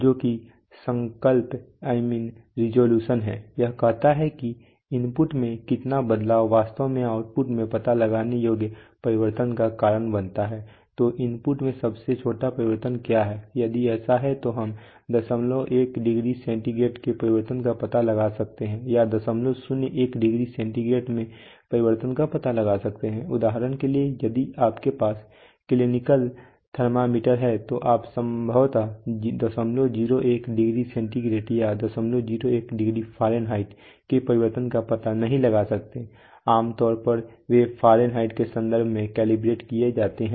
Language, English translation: Hindi, Which is resolution, this is also where, it says that how much of change in input will actually cause a detectable change in the output so what is the smallest change in the input so, if so can we detect a change of point one degree centigrade or can be detect a change in point zero one degree centigrade, for example if you have a clinical thermometer then you cannot possibly detect a change of